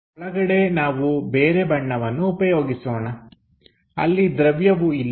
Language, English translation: Kannada, Let us use other color inside of that material is not present